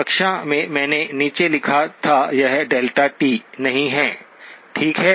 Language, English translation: Hindi, In the class, I had written it down, it is not delta of t, okay